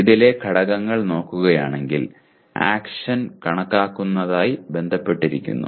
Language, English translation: Malayalam, If you look at the elements in this, action is related to calculate